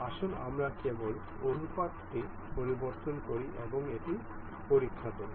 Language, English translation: Bengali, Let us just change the ratio and check that